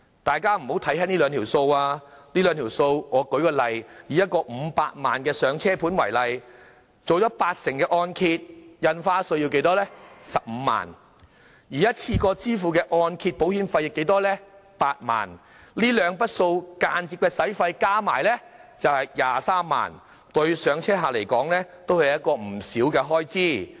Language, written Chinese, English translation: Cantonese, 大家不要輕視這兩筆開支，舉例而言，以一個500萬元"上車盤"為例，承造八成按揭，印花稅便要15萬元，而一次過支付的按揭保費則要8萬元，這兩筆間接費用合共23萬元，對"上車客"而言是一筆不少的開支。, Take a 5 million starter home with a 80 % mortgage loan as an example . The stamp duty costs 150,000 while the one - off mortgage insurance premium payment is 80,000 . These two indirect expenses cost 230,000 in total which is not a small amount for first - time home buyers